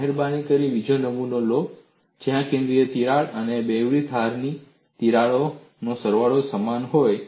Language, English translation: Gujarati, Please take the second specimen where the center crack and some of the double edge cracks are of equal magnitudes